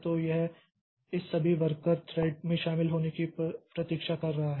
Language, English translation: Hindi, So, it is waiting for joining all of, for joining of all these worker threads